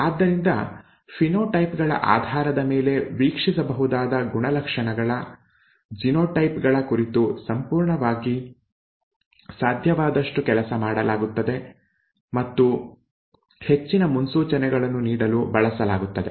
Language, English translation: Kannada, So based on the phenotypes the characters the observable characters, the genotypes are worked out as completely as possible and used to make further predictions, okay